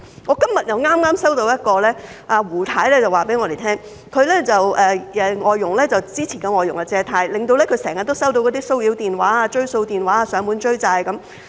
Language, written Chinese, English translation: Cantonese, 我剛在今天收到一位胡太的投訴，她告訴我們，她之前的外傭借貸，令她經常收到騷擾電話、追債電話，被人上門追債。, Today I just got a complaint from a Mrs WU . She told us that she always received harassment calls or debt collection calls and got knocks on her door from people chasing up debt repayment because her previous FDH had borrowed money